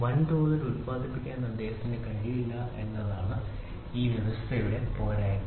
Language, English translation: Malayalam, The disadvantage of this system is he was not able to mass produce